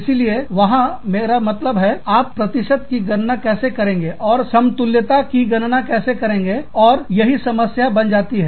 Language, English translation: Hindi, So, there is, i mean, how do you calculate the percentages, and how do you calculate the parity, is what, becomes a problem